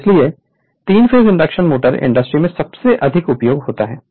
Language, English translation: Hindi, So, 3 phase induction motors are the motor most frequency encountered in industry